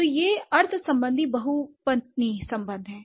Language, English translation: Hindi, So, these are the semantic polysemous relations